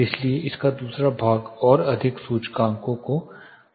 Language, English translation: Hindi, So, the second part of this will cover further more indices